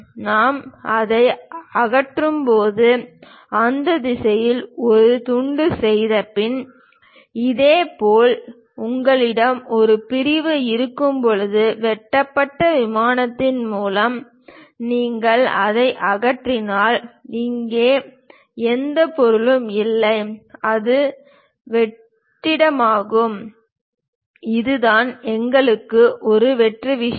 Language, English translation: Tamil, When we remove it, after making a slice in that direction; similarly, when you have a section; through cut plane if you are removing it, there is no material here, it is just blank empty vacuum that is the reason we have empty thing